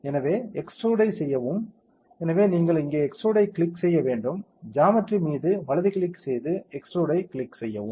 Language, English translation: Tamil, So, let us extruded; so, you have to click extrude here, right click on geometry and click extrude